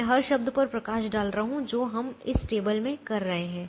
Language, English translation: Hindi, i am high lighting a every term that we are doing in this table